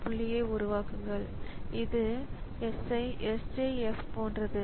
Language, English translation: Tamil, So, from this point onwards it is behavior is similar to SJF